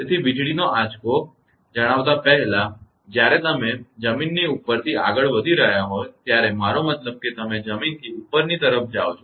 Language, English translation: Gujarati, So, before telling the lightning stroke that when you are moving above the ground I mean when you are moving upwards the ground right